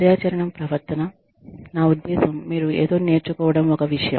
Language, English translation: Telugu, The activity behavior, i mean, you learning something, is one thing